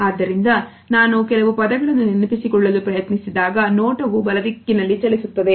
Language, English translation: Kannada, So, I am trying to recollect certain words and then the gaze moves in this direction